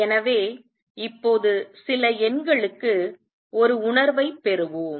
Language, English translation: Tamil, So, now let us get a feeling for some numbers